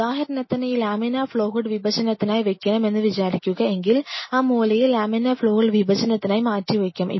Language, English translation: Malayalam, But say for example, this laminar flow hood where we started has to be kept for dissection, if this laminar flow hood for the dissection